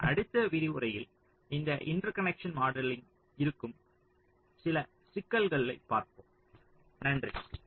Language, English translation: Tamil, in the next lecture we shall be continuing with some more issues on ah, this interconnect modeling